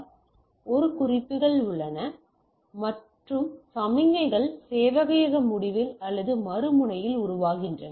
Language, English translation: Tamil, So, there is a demarks and the signals are formed into the at the server end or the other end